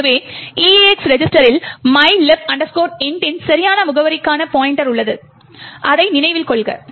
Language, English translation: Tamil, So, note that the EAX register contains the pointer to the correct address of mylib int